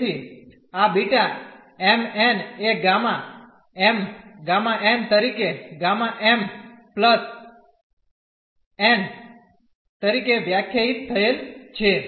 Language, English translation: Gujarati, So, this beta m, n is defined as gamma m gamma n over gamma m plus n